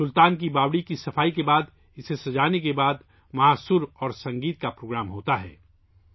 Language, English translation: Urdu, After cleaning the Sultan's stepwell, after decorating it, takes place a program of harmony and music